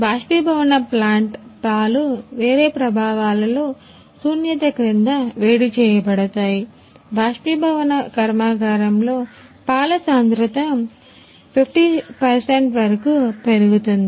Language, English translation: Telugu, In evaporation plant milk is heating under a vacuum in a different effects and concentration of milk is increased up to the 50 percent in evaporation plant